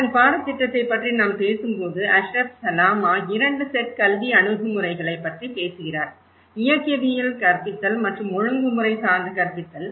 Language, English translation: Tamil, When we talk about the curriculum part of it; Ashraf Salama talks about 2 sets of pedagogy approaches; mechanist pedagogy and the systemic pedagogy